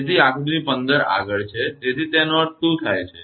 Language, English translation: Gujarati, So, that is figure 15 next is; so; that means, what happen